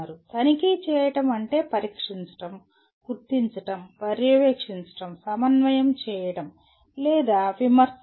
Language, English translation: Telugu, Checking means testing, detecting, monitoring, coordinating or critiquing